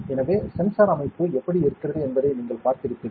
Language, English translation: Tamil, So, you have seen how the sensor structure is